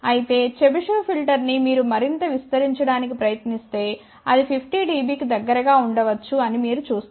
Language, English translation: Telugu, Whereas, a Chebyshev filter if you try to extend this further you can say that maybe close to 50 dB